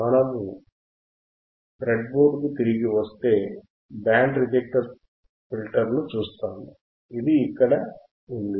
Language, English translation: Telugu, So, if we come back to the breadboard, if we come back to the breadboard , we will see the function first the band reject filter, which is right over here is right over here